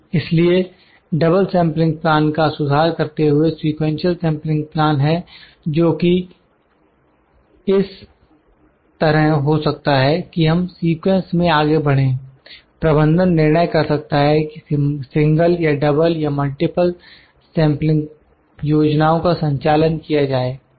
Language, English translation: Hindi, So, further refinement of the double sampling plan is sequential sampling plan that can be like we can move in sequence, the management can decide whether to conduct single or double or multiple sample plans